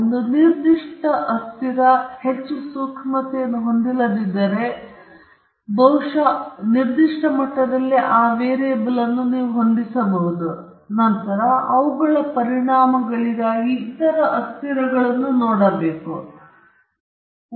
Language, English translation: Kannada, If a particular variable is not having that much of sensitivity, probably you can fix that variable at a certain level, and then, look at the other variables for their effects